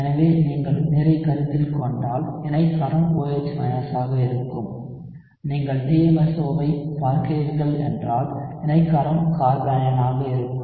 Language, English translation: Tamil, So if you consider water, the conjugate base would be OH , if you are looking at DMSO the conjugate base would be this carbanion here